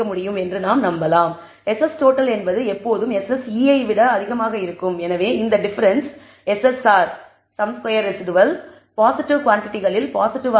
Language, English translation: Tamil, So, SS total is the will always be greater than SSE and therefore, this di er ence SSR will also be positive all of these a positive quantities